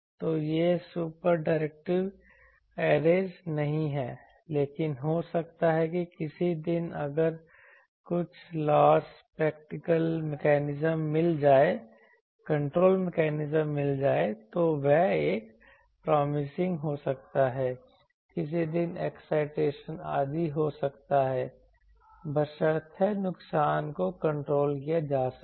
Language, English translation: Hindi, So, these super directive arrays are no, but maybe in some day if some loss control mechanism is found then that can be a promising one maybe someday because maybe the excitation etce